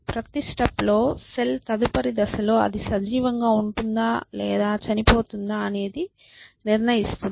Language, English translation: Telugu, So, at every time step every cell decides whether in the next time step it will be alive or dead or whatever essentially